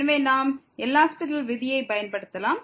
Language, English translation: Tamil, So, we can use the L’Hospital rule